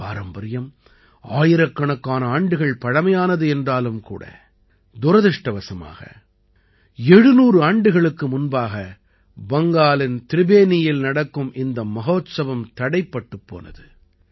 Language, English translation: Tamil, Although this tradition is thousands of years old, but unfortunately this festival which used to take place in Tribeni, Bengal was stopped 700 years ago